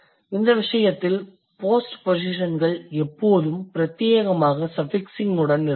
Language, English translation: Tamil, In case of this, the pospositions are almost always exclusively suffixing